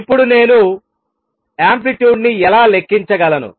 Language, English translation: Telugu, Now how do I calculate the amplitude